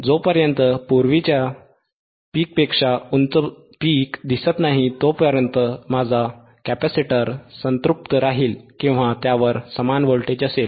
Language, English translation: Marathi, uUntil a peak which is higher than the earlier peak will appear, my capacitor will remain saturated or it will have same voltage